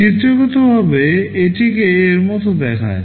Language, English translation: Bengali, Pictorially I show it like this